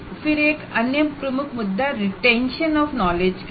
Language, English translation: Hindi, And another major issue is poor retention of the knowledge